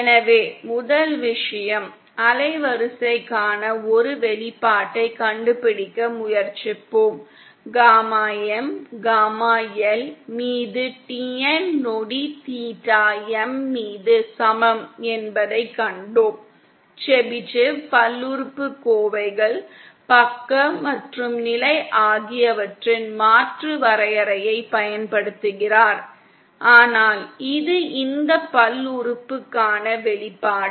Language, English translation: Tamil, So first thing is let us try to find an expression for the band width we saw that gamma M is equal to gamma L upon TN sec theta M, ah using an alternate definition of the Chebyshev polynomials, the side and state but this is also an expression for this polynomial